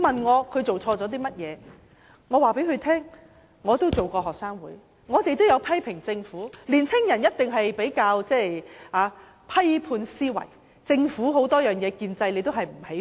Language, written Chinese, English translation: Cantonese, 我告訴他們，我也曾參加學生會，也曾批評政府，十七八歲的青年人一定有批判思維，不喜歡政府建制。, I told them that I had also joined the student union and had also criticized the Government . Young people at the age of 17 or 18 must have critical thinking and they dislike the Government and the establishment